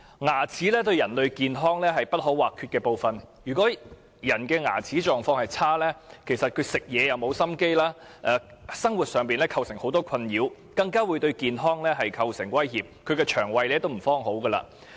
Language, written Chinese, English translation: Cantonese, 牙齒是人類健康不可或缺的部分，如果牙齒狀況差，人會沒有心情進食，構成很多生活上的困擾，更會對健康構成威脅，亦會損害腸胃。, Dental care is part and parcel of human health and people who suffer from poor oral health will experience the loss of appetite . It will bring a lot of inconveniences to their daily lives expose them to a range of potential health hazards and cause gastrointestinal lesions too